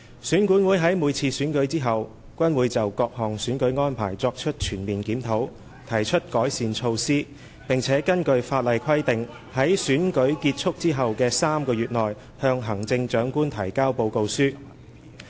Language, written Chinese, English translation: Cantonese, 選管會在每次選舉後均會就各項選舉安排作出全面檢討，提出改善措施，並根據法例規定在選舉結束後的3個月內向行政長官提交報告書。, After each election EAC will conduct a comprehensive review of the various electoral arrangements propose improvement measures and submit a report to the Chief Executive within three months of the conclusion of the election as required by the law